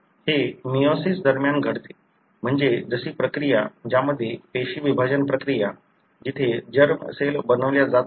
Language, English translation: Marathi, This happens during meiosis, meaning the process wherein, the cell division process where the germ cells are being made